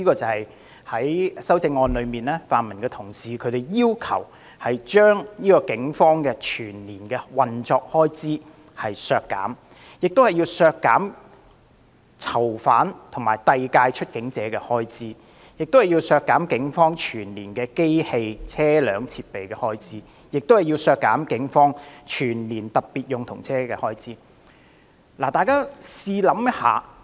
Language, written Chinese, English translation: Cantonese, 泛民同事提出修正案，要求削減警隊運作的全年預算開支、囚犯及遞解出境者的全年預算開支、警方機器、車輛及設備的全年預算開支，以及警方特別用途車的全年預算開支。, According to the amendments proposed by the pan - democratic colleagues the annual estimated expenditures for the Police operation prisoners and deportees the Police plant vehicles and equipment as well as the police specialised vehicles should all be reduced